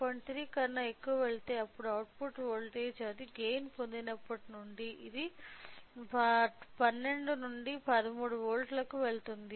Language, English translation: Telugu, 3 then the output voltage it is since a gain is obtained it will go to 12 to 13 volts